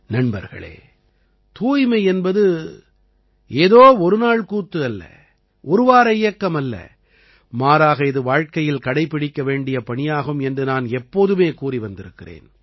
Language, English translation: Tamil, Friends, I always say that cleanliness is not a campaign for a day or a week but it is an endeavor to be implemented for life